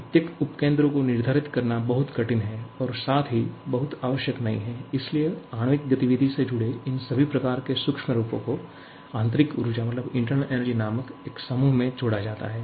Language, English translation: Hindi, It is extremely difficult to quantify each of the subcomponents and not very necessary as well and therefore, all these types of microscopic form of energies associated with the molecular activity is combined into a group called internal energy